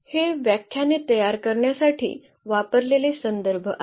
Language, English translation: Marathi, So, these are the references use for preparing these lectures